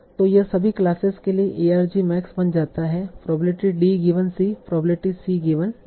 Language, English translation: Hindi, So this becomes arc mix over all classes, probability D given C, probability D